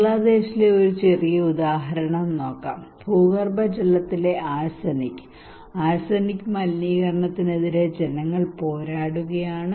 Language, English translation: Malayalam, Let us look a small example here in Bangladesh; people are battling with arsenic, arsenic contamination of groundwater